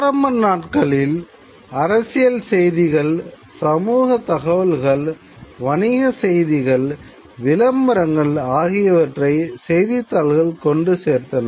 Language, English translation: Tamil, The early newspapers, they've carried political messages, they carried social information, they carried commercial news, as well as carried classified advertisement